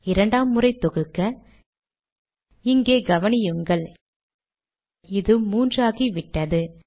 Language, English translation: Tamil, On second compilation see what happens here – now it has become three